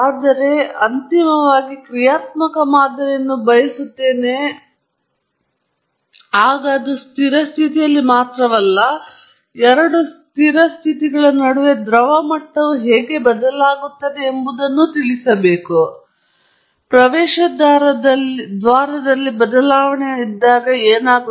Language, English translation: Kannada, Now, we just now said eventually I want a dynamic model; that is that tells me how the liquid level changes when not only at steady state but between two steady states, when there is a change in the inlet flow